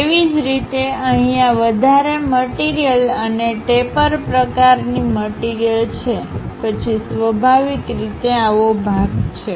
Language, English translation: Gujarati, Similarly, we have an extra material and taper kind of thing then naturally we will have this portion